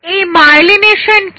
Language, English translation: Bengali, What is myelination